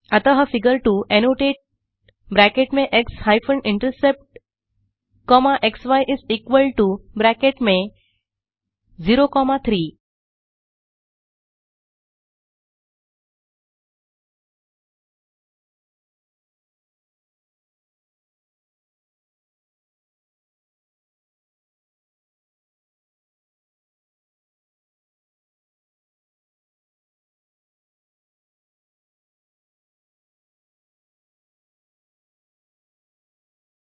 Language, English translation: Hindi, Then annotate within brackets x hyphen intercept comma xy is equal to within brackets 0 comma 3